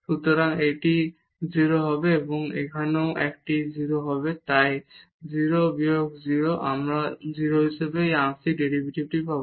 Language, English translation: Bengali, So, this will be 0 and here also this will be 0 so, 0 minus 0 we will get this partial derivative as 0